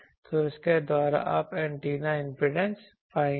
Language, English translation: Hindi, So, by the you will find antenna impedance